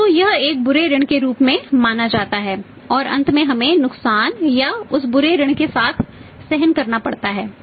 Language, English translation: Hindi, So, it has to be considered as a bad debt and finally we have to bear with that losses or that bad debts